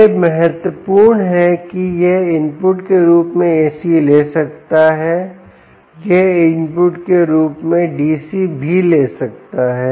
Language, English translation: Hindi, it can take ac as an input, it can also take dc as an input